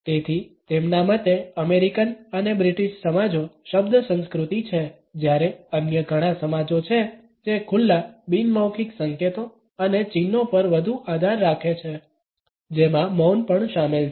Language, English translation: Gujarati, So, in his opinion the American and British societies are word cultures whereas, there are many other societies which rely more on open nonverbal cues and signs which include silence also